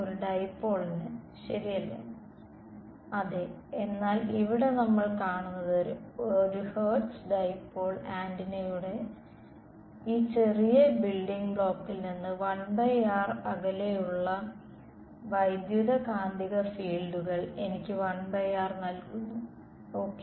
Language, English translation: Malayalam, r square right, but here what do we see electromagnetic fields 1 by r far away from the sort of this smallest building block of an antenna which is a Hertz dipole, gives me a 1 by r ok